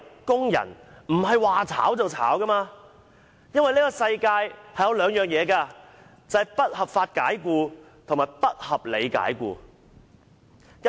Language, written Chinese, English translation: Cantonese, 工人不應無故遭受解僱，當中包括"不合法解僱"及"不合理解僱"兩種情況。, Workers should not be dismissed without cause including unlawful dismissal and unreasonable dismissal